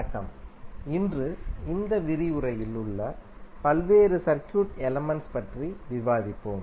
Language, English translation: Tamil, Namaskar, so today we will discussed about the various circuit elements in this lecture